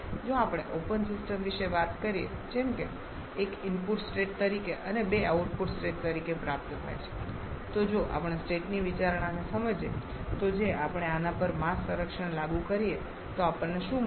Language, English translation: Gujarati, If we talk about an open system like this which is receiving 1 as input state and 2 as output state then if we understand state consideration if we apply the mass conservation on this then what we are going to get